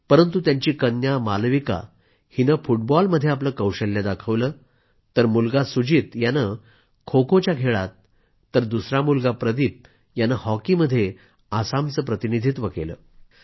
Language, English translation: Marathi, But whereas her daughter Malvika showed her mettle in football, one of her sons Sujit represented Assam in KhoKho, while the other son Pradeep did the same in hockey